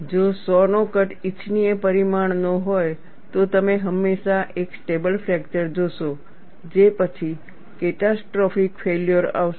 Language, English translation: Gujarati, If the saw cut is of a desirable dimension, you will always see a stable fracture followed by catastrophic failure